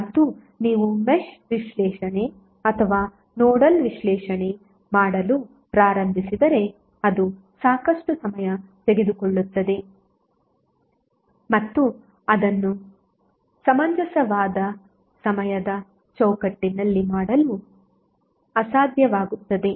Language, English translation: Kannada, And if you start doing the mesh analysis or nodal analysis it will take a lot of time and it will be almost impossible to do it in a reasonable time frame